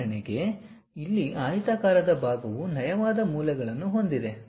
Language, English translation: Kannada, For example, here that rectangular portion we have a smooth corners